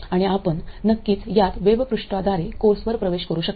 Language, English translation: Marathi, And you can of course access this on the course web page